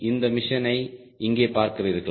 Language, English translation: Tamil, do you see this mission here